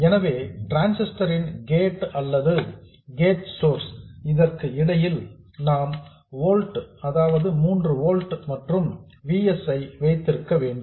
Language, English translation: Tamil, So, at the gate of the transistor or between the gate source we need to have 3 volts plus VS